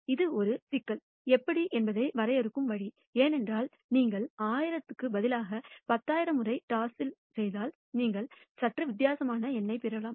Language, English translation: Tamil, This way of defining how has a problem, because if you do that toss 10,000 times instead of 1,000 times you might get a slightly different number